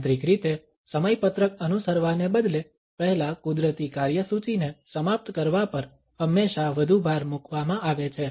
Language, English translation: Gujarati, There is always more emphasis on finishing the natural agenda first rather than keeping the schedule in a mechanical manner